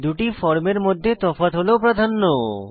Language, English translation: Bengali, Difference in the two forms is precedence